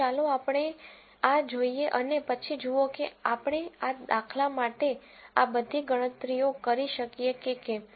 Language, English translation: Gujarati, So, now let us look at this and then see whether we can do all these calculations for this example